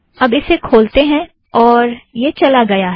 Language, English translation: Hindi, Open it, you can see that it is gone